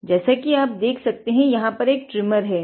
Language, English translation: Hindi, So, you can see a trimmer over here